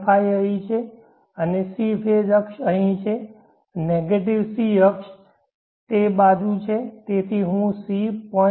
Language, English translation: Gujarati, 5 is here and C phase axis is here negative C phase axis is on that side so as I see point five